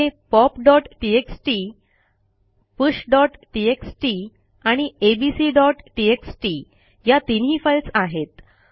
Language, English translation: Marathi, Here are the files pop.txt, push.txt and abc.txt Let us clear the screen